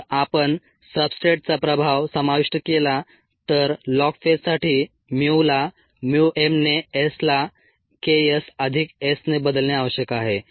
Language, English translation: Marathi, if it is possible, if we incorporate the effect of the substrate for the log phase, the mu needs to be replaced by mu m s, by k s plus s